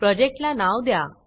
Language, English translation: Marathi, Give your project a name